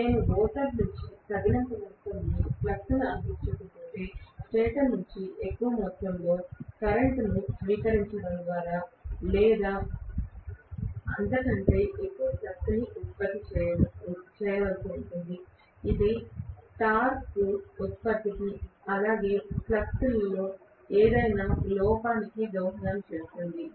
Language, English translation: Telugu, If I do not provide sufficient amount of flux from the rotor, it might have to produce excess or more amount of flux by drawing more amount of current from the stator, which will fend for production of torque, as well as any shortcoming in the flux